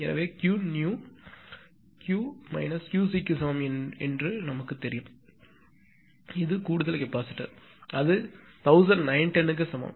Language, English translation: Tamil, Therefore, we know Q new is equal to Q minus Q c; it is add means additional capacitor that is Q c add is equal to1910